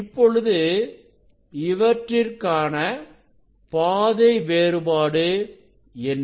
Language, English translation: Tamil, Now, what is the path difference between these two ray